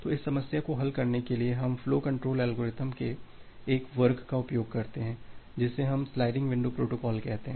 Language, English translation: Hindi, So, to solve this problem we use a class of flow control algorithms which we call as the sliding window protocol